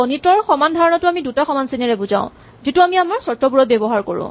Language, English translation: Assamese, The mathematical equality is written as double equal too this is what we use in our conditions